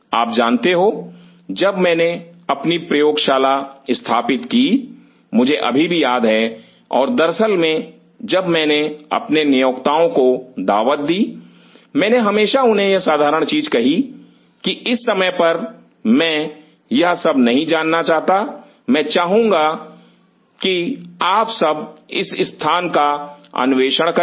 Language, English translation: Hindi, You know when I set up my lab I still remember and as a matter of fact when I set up blast for my for my employers I always told them this simple thing like at this point I do not know like I may love to you know explore this areas